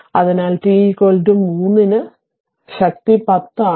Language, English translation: Malayalam, So, at t is equal to 3 it is strength is 10